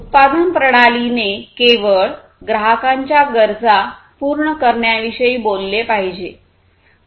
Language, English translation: Marathi, And the production system should talk about only addressing the customers’ needs